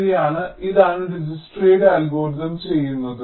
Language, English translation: Malayalam, right, and this is what dijkstas algorithm does